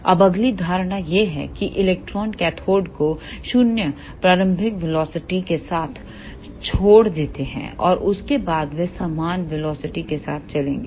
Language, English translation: Hindi, Now, next assumption is electrons leave the cathode with zero initial velocity and after that they will move with uniform velocity